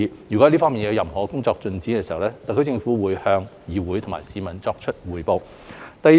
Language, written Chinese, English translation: Cantonese, 若這方面的工作有新進展，特區政府會向議會和市民匯報。, The HKSAR Government will report to the Legislative Council and members of the public should there be new progress on this front